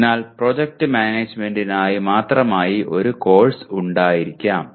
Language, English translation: Malayalam, So there may be a course exclusively for project management